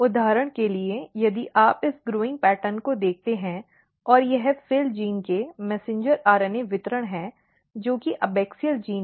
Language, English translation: Hindi, So, for example, if you look this growing pattern and this is messenger RNA distribution of FIL gene which is abaxial gene